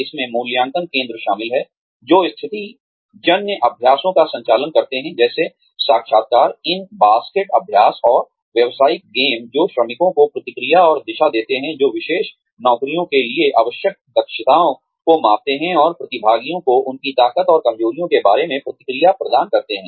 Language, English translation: Hindi, That includes, assessment centers, which conduct situational exercises, such as interviews, in basket exercises, and business games, which give feedback and direction to workers, which measure competencies needed for particular jobs, and provide participants with feedback, about their strengths and weaknesses